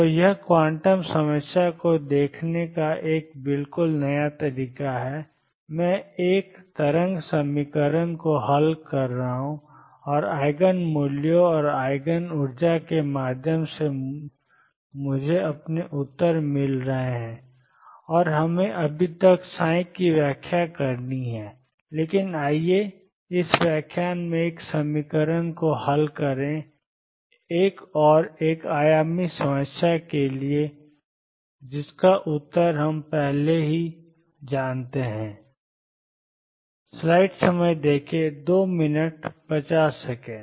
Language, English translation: Hindi, So, this is a completely new way of looking at the quantum problem I am solving a wave equation and through the Eigen values and Eigen energy is I am getting my answers and we yet to interpret psi, but let us solve in this lecture this equation for another one dimensional problem that we already know the answer of